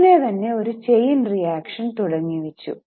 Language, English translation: Malayalam, Immediately there was a chain reaction